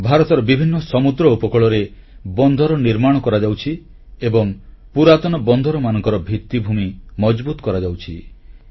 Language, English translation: Odia, New seaports are being constructed on a number of seaways of India and infrastructure is being strengthened at old ports